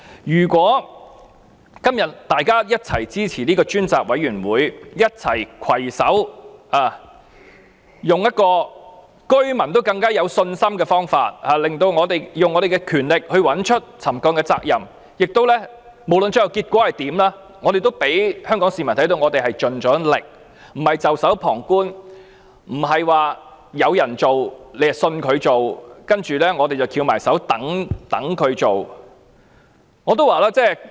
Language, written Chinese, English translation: Cantonese, 如果今天大家一起支持成立專責委員會，攜手採用一個令居民更有信心的方法，以我們的權力找出沉降的責任，不論最後結果如何，我們也讓香港市民看到我們已經盡力，不是袖手旁觀，不是說有人做，便信他會做，然後我們便"翹埋雙手"等別人來做。, But if today Members can support the establishment of a select committee and work in concert to adopt an approach that can inspire greater confidence in the residents and exercise our powers to ascertain the responsibilities for these cases of settlement irrespective of the final outcome we would be showing the people of Hong Kong that we have done our utmost rather than acting as onlookers or simply believing other people will carry out an investigation as they claimed and then with our arms folded waiting for other people to do it